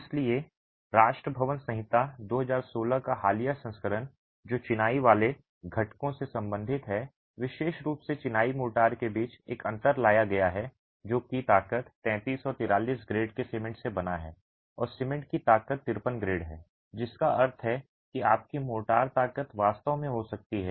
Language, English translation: Hindi, So, the recent version of the National Building Code 2016, which deals with the masonry constituents, has specifically brought in a distinction between masonry motors that are made with cement of strength 33 and 43 grade and cement strength 53 grade, which means your motor strength can actually be higher if the cement grade is higher